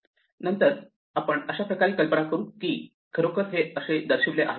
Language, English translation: Marathi, Then this is how we would imagine it is actually represented